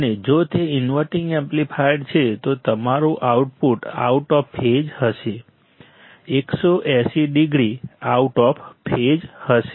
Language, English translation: Gujarati, And if it is an inverting amplifier, then your output would be out of phase, out of phase 180 degree out of phase